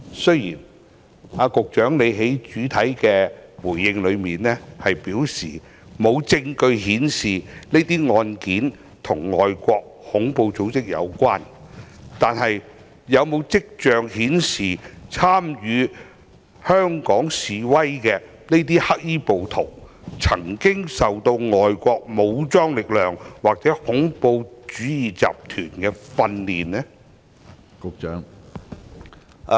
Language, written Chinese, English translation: Cantonese, 雖然局長在主體答覆內表示沒有證據顯示這些案件與外國恐怖組織有關，但有否跡象顯示，參與香港示威的黑衣暴徒曾經接受外國武裝力量或恐怖主義集團的訓練呢？, Although the Secretary stated in the main reply that there is no evidence linking the cases to overseas terrorist organizations are there any signs indicating that the black - clad rioters participating in the demonstrations in Hong Kong have received training by overseas armed forces or terrorist organizations?